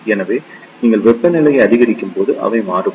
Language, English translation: Tamil, So, they vary when you increase the temperature